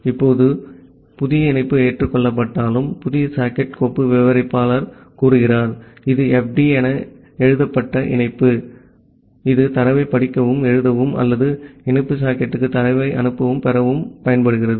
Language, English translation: Tamil, Now, once this new connection is accepted, then the new socket file descriptor say, the connection fd it is written, which is used to read and write data or to send and receive data to the connective socket